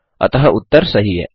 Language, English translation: Hindi, Hence answer is true